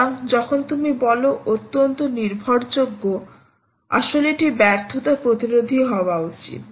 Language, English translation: Bengali, so when you say highly reliable, you actually mean it should be failure resistant